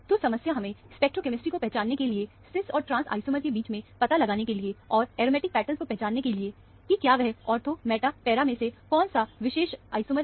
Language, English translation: Hindi, So, the problem amounts to identifying the stereochemistry, to decide between cis and trans isomer, and identifying the aromatic pattern to decide on, whether it is a ortho, meta, para of a particular isomer